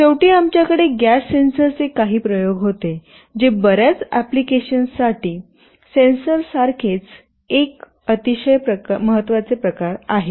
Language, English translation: Marathi, And lastly we had some experiments with gas sensors, which is also very important kind of a sensor for many applications